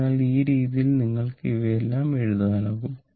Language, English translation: Malayalam, So, this way you can write